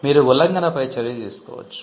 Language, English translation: Telugu, You can take action on an infringement